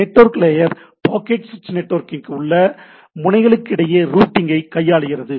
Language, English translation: Tamil, Network layer handles routing among nodes within the packet switched network